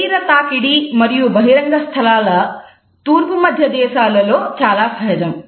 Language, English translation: Telugu, Physical contact and public spaces is more common than Middle Eastern countries